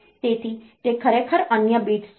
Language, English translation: Gujarati, So, they are actually the other bits